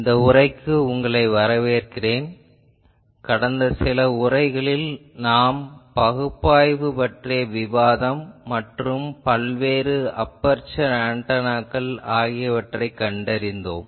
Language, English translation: Tamil, Welcome to this lecture, we were in the last few lectures discussing the analysis and also we are finding various aperture antennas